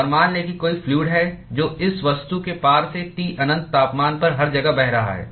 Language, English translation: Hindi, And let us assume that there is fluid which is flowing past this object everywhere at temperature T infinity